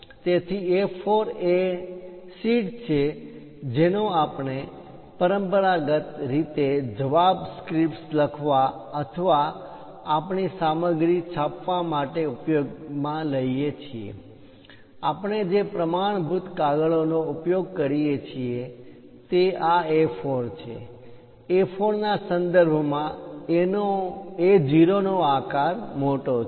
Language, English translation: Gujarati, So, A4 is the sheet what we traditionally use it for writing answer scripts or perhaps printing our material; the standard page what we use is this A4; with respect to A4, A0 is way large